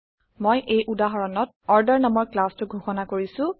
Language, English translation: Assamese, I have defined a class named Order in this example